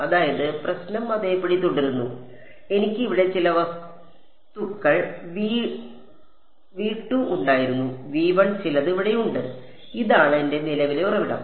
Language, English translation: Malayalam, So, the problem remains the same I had some object V 2 over here and some V 1 and this was my current source over here